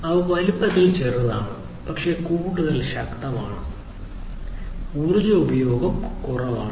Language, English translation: Malayalam, They are smaller in size, but much more powerful, less energy consuming